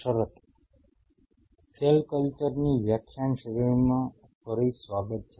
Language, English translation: Gujarati, Welcome back to the lecture series in Cell Culture